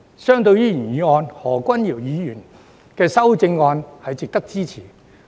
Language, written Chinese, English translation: Cantonese, 相對於原議案，何君堯議員的修正案是值得支持的。, Compared to the original motion Dr Junius HOs amendment is worthy of support